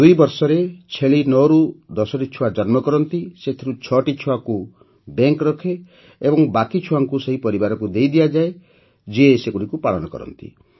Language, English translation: Odia, Goats give birth to 9 to 10 kids in 2 years, out of which 6 kids are kept by the bank, the rest are given to the same family which rears goats